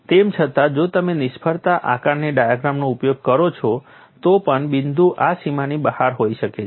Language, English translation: Gujarati, Even then if you use failure assessment diagram the point may lie outside this boundary